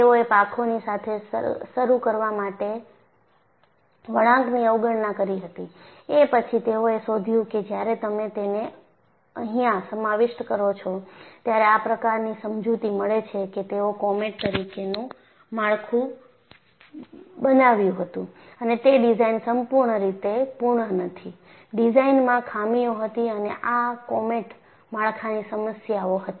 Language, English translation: Gujarati, They had ignored the flexing of the wings, to start with; then they found, when you incorporate that, that provided an explanation that the structure what they had made as Comet was not fully design proof; there was a design fault, and comet had structural problems